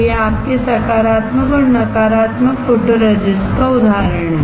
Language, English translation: Hindi, So, this is the example of your positive and negative photoresist